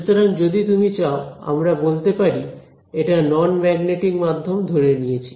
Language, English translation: Bengali, So, if you want we can say in assumptions non magnetic media ok